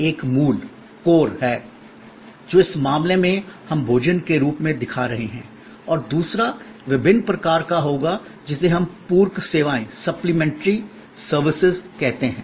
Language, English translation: Hindi, One is the core, which in this case we are showing as food and the other will be different kinds of what we call supplementary services